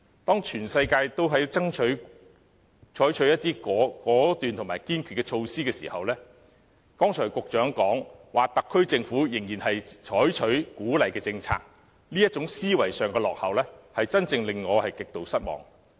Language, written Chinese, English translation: Cantonese, 當全世界都在採取果斷和堅決的措施時，局長剛才表示特區政府仍然採取鼓勵政策，這種思維上的落後，才真正令我極度失望。, While the whole world is adopting decisive and determined measures the Secretary just said that the SAR Government is still adopting incentive measures . This kind of backward thinking is really highly disappointing to me